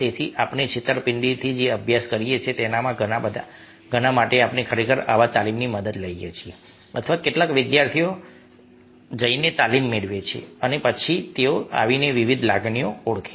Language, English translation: Gujarati, so for many of the studies that we do in deceit, we actually take the help of such trainers, such some of a students go and get trained and then they comment, identify different emotions